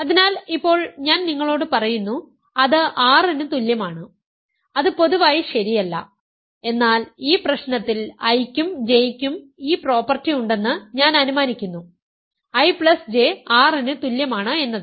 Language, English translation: Malayalam, So, now I am telling you that that is equal to R, that is not in general true, but in this problem I am assuming that I and J have this property that I plus J is equal to R